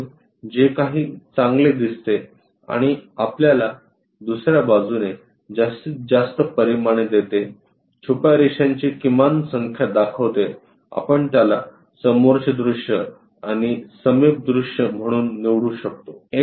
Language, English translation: Marathi, So, whatever good looks and gives you maximum dimensions on the other side views minimum number of hidden lines that view we could pick it as a front view and adjacent view